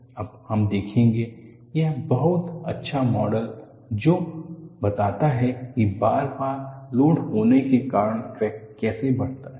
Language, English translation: Hindi, Now, what we will look at is, we look at a reasonably a good model which explains how a crack grows, because of repeated loading